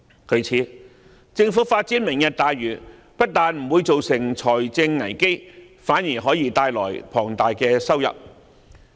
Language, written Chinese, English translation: Cantonese, 故此，政府發展"明日大嶼"不單不會造成財政危機，反而可以帶來龐大收入。, Therefore the Lantau Tomorrow plan put forth by the Government will not lead to any fiscal crisis and it may even generate a substantial income